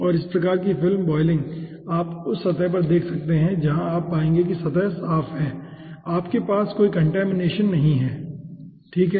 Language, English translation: Hindi, okay, and ah, this type of film boiling you can see in the surface, is where you will finding out surface is clean and you are having no contamination